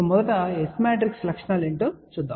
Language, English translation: Telugu, Let us first look at what are the S matrix properties